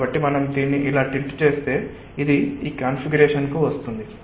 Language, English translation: Telugu, so we just tilt it like this and it comes to this configuration